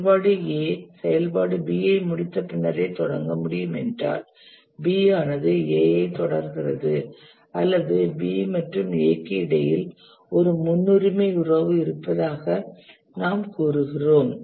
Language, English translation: Tamil, If an activity A can start only after some activity B has completed, then we say that B precedes A or there is a precedence relationship between B and A